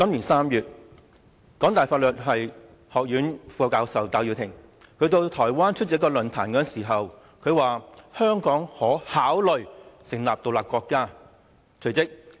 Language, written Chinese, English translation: Cantonese, 今年3月，香港大學法律學院副教授戴耀廷到台灣出席論壇時說到，香港可考慮成立獨立國家。, In March this year Benny TAI Associate Professor of the Faculty of Law University of Hong Kong mentioned in a forum in Taiwan that Hong Kong could consider becoming an independent state